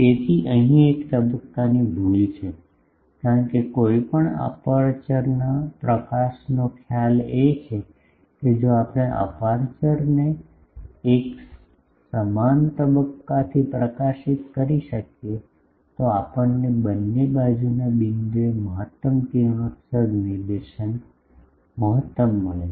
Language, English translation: Gujarati, So, there is a phase error here, because the idea of any aperture illumination is that, if we can at illuminate the aperture with an uniform phase, then we get the maximum radiation directivity is maximum at the both side point